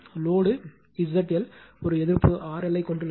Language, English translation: Tamil, The load Z L consists of a pure resistance R L